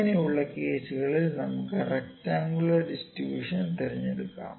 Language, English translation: Malayalam, If this is the case we can use the rectangular distribution, ok